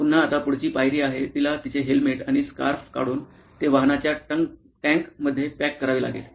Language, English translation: Marathi, Again, the next step is now she has to take off her helmet and scarf and probably pack it inside the trunk of the vehicle